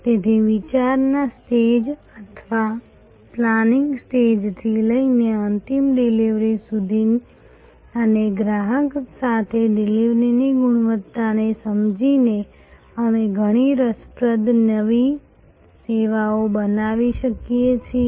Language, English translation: Gujarati, So, right from the idea stage or planning stage to the final delivery and sensing the quality of delivery along with the customer, we can create many interesting new services